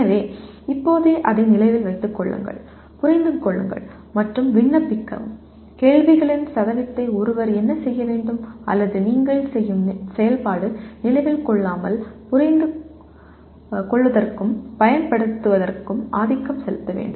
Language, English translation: Tamil, So right now it is Remember, Understand and Apply and what one should do the percentage of questions or the activity that you do should be dominantly in Understand and Apply rather than in Remember